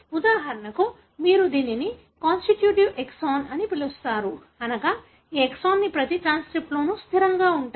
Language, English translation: Telugu, For example, you call this as a constitutive exon, meaning these exons are present invariably in every transcript that is being made